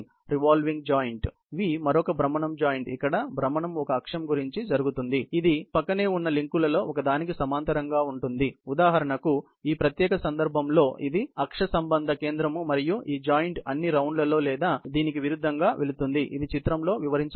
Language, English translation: Telugu, The revolving joint, V is another rotational joint, where the rotation takes place about an axis that is parallel to one of the adjoining links; for example, in this particular case, this is the axial center and this joint goes all round or vice versa, as has been illustrated in the figure